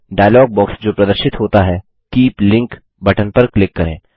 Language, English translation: Hindi, In the dialog box that appears, click on Keep Link button